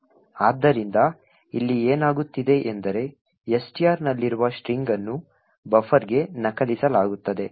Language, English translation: Kannada, So, what is happening here is that is which is present in STR is copied into buffer